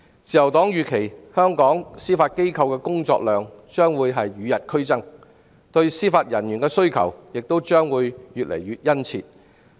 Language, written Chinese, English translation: Cantonese, 自由黨預期香港司法機構的工作量將與日俱增，對司法人員的需求亦將會越來越殷切。, The Liberal Party envisages that the demand for Judicial Officers will grow in tandem with the increasing workload of the Judiciary